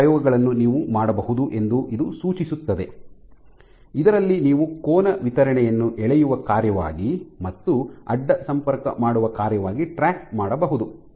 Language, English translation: Kannada, So, this suggests that you can do these experiments in which you can track the angle distribution as a function of pulling and as a function of cross linking